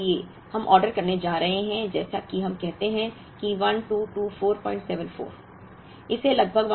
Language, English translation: Hindi, Now for example, we are going to order, let us say 1224